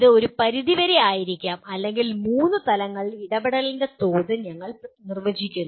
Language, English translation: Malayalam, It may be to a certain degree or we define the level of involvement at three levels